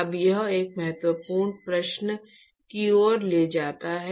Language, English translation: Hindi, Now this leads to an important question actually